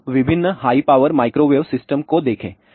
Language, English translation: Hindi, Now, let us look at various high power microwave system